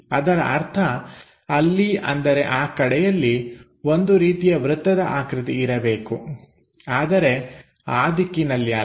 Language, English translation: Kannada, That means, there must be something like circle in that direction, but not in that direction